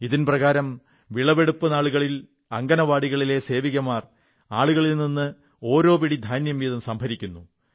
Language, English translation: Malayalam, In this novel scheme, during the harvest period, Anganwadi workers collect a handful of rice grain from the people